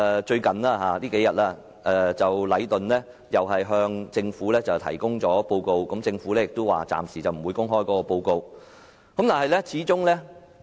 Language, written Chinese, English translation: Cantonese, 最近，禮頓建築有限公司向政府提交報告，但政府表示暫時不會公開該報告。, Recently Leighton Contractors Asia Limited has submitted a report to the Government but the Government stated that the report would not be made public for the time being